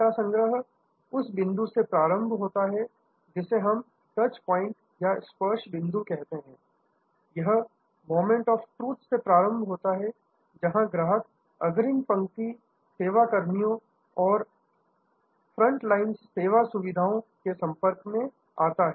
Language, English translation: Hindi, Starts, the data collections starts from what we call at the touch points, starts from the moments of truth, where the customer comes in contact with the front line service personnel and the front line service facilities